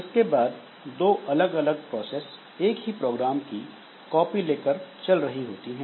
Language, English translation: Hindi, After fork there are two different processes running copies of the same program